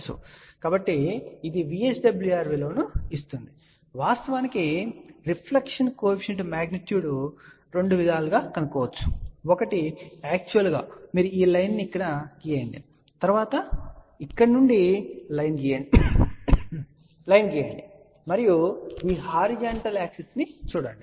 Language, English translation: Telugu, So, this one gives us the value of VSWR and the reflection coefficient magnitude can be found in actually two ways; one is you actually draw this line over here and then the draw line from here and look at this horizontal axis